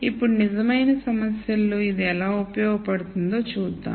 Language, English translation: Telugu, Now, let us see how this is useful in a real problem